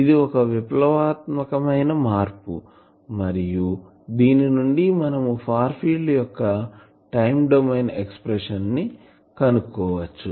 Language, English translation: Telugu, So, this is an important evaluation and from this we can also just find the time domain expression of the far field